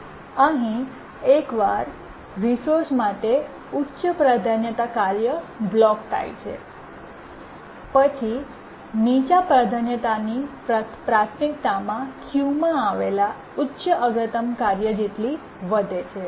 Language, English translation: Gujarati, Here once the high priority task blocks for the resource, the low priority task's priority gets raised to the highest priority task in the queue